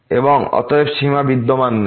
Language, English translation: Bengali, And therefore, the limit does not exist